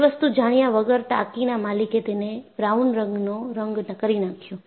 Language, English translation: Gujarati, Without knowing that, the owner of the tank painted it brown